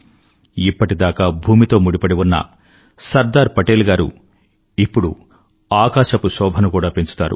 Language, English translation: Telugu, Sardar Patel, a true son of the soil will adorn our skies too